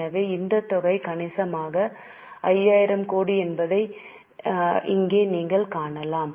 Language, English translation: Tamil, You can see here the amount is substantial 5,000 crores